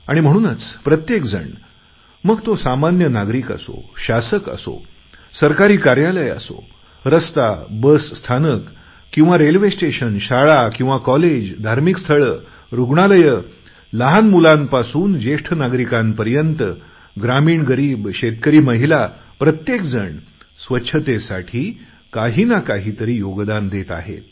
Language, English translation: Marathi, Everyone, be it a common citizen, an administrator, in Government offices or roads, bus stops or railways, schools or colleges, religious places, hospitals, from children to old persons, rural poor, farming women everyone is contributing something in achieving cleanliness